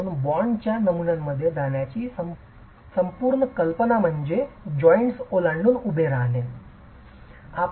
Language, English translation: Marathi, So, the whole idea of going in for bond patterns is to be able to create vertical stagger across the joints